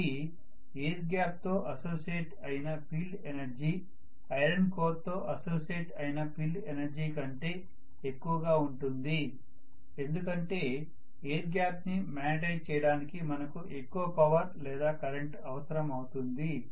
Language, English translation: Telugu, So the field energy associated with the air gap will be much higher as compared to the field energy associated with the iron core because to magnetize the air gap I will require much more amount of you know current and power to be pumped in as compared to what would have happened for the iron core